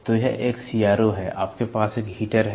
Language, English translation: Hindi, So, this is a CRO, you have a heater